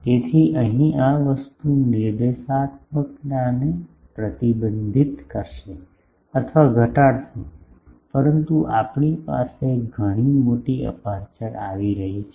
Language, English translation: Gujarati, So, here this thing will restrict or reduce the directivity, but we are getting much larger aperture